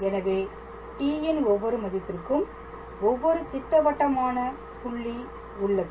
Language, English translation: Tamil, So, for every value of t, there corresponds a definite point